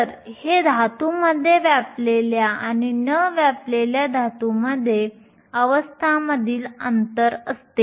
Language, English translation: Marathi, So, if this is the gap between the occupied and the unoccupied states in the metal